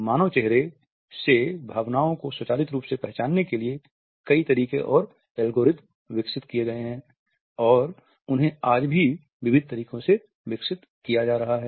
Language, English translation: Hindi, Numerous methods and algorithms for automatically recognizing emotions from human faces have been developed and they are still being developed in diversified ways